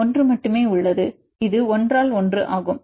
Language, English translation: Tamil, There is only 1, this 1 by 1